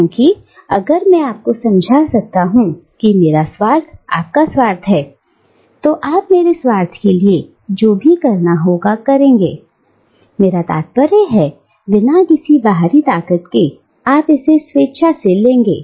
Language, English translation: Hindi, Because, if I can convince you that my self interest is your self interest, then you will do whatever is required to be done for my self interest, I mean, without any sense of external force, you will do it willingly